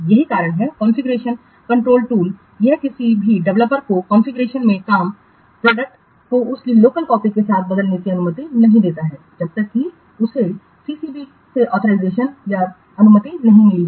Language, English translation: Hindi, So that's why configuration control tool, it does not allow any developer to replace work product in the configuration with his local copy unless he gets an authorization or permission from the CCB